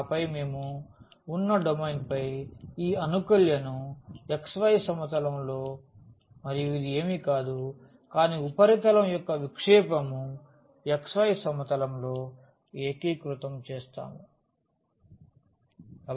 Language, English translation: Telugu, And then we integrate this integrand over the domain which is in the xy plane and this is nothing, but the projection of the of the surface in the xy plane